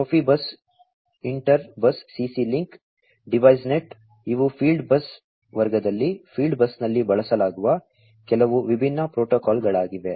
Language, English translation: Kannada, Profibus inter bus CC link, Device Net; these are some of the different protocols that are used in the field bus in the field bus category